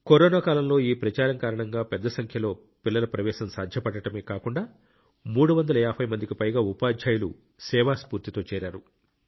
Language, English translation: Telugu, During the Corona period, due to this campaign, not only did the admission of a large number of children become possible, more than 350 teachers have also joined it with a spirit of service